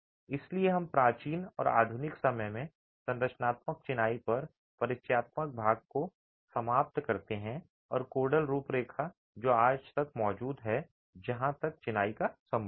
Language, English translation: Hindi, So, with that we conclude the introductory part on structural masonry in ancient and modern times and the codal framework which exists today as far as masonry is concerned